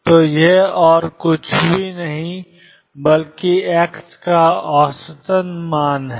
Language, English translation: Hindi, So, this is nothing but average value of x